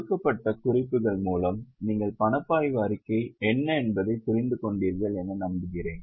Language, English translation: Tamil, I hope you have gone through the given notes and understood what is a cash flow statement